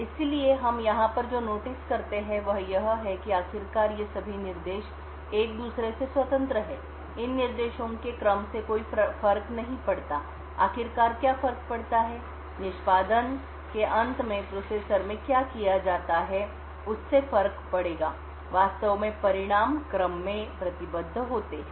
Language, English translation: Hindi, So, what we notice over here is that eventually since all of these instructions are independent of each other the ordering of these instructions will not matter, what does matter eventually and what is done in the processor is at the end of execution the results are actually committed in order